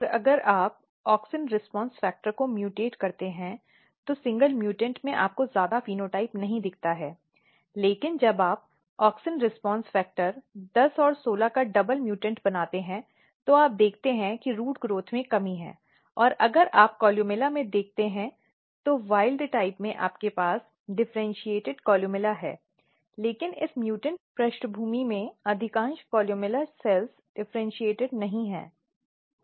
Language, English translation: Hindi, And what happens that if you mutate AUXIN RESPONSE FACTOR in single mutant you do not see much phenotype, but when you make a double mutant of AUXIN RESPONSE FACTOR 10 and 16 what you see that there is a defect in the root growth and if you look there basically columella what happens in wild type you have maturate, or differentiated columella but in this mutant background most of the columella cells are not differentiated